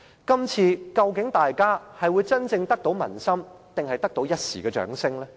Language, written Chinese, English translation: Cantonese, 究竟大家今次真正得到民心還是一時的掌聲呢？, Do Members really win the hearts of the people or just some transient applause from them?